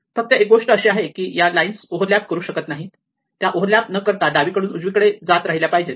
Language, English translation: Marathi, Only thing is that these lines cannot over lap, they must be kept going from left to right without over lap